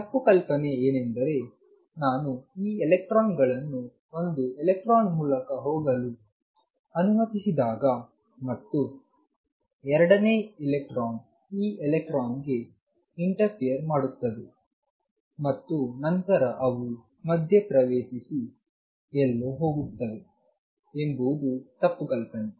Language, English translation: Kannada, The misconception is that when I let these electrons go through one electron comes and the second electron interferes with this electron and then they interfere and go somewhere that is a misconception